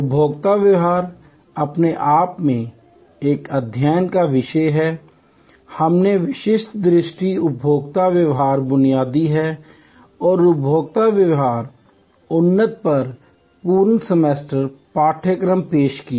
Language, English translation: Hindi, Consumer behavior is a subject of study by itself, we offered full semester courses on different sight consumer behavior basic as well as consumer behavior advanced